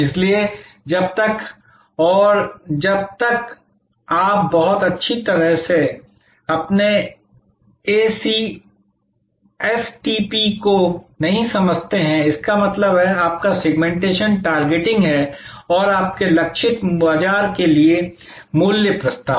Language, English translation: Hindi, So, until and unless you very well understand your STP; that means, your Segmentation Targeting and the value proposition for your targeted market